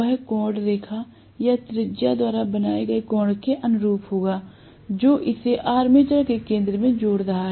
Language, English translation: Hindi, That angle will be corresponding to the angle subtended by the the line or the radius that is joining it to the centre of the armature right